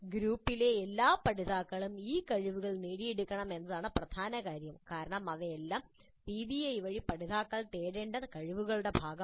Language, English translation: Malayalam, The important point is that all the learners in the group must acquire these skills because these are all part of the skills that the learners are supposed to acquire through the PBI